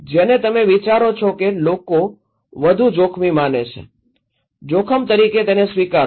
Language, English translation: Gujarati, Which one you think people considered more risky, accept as risk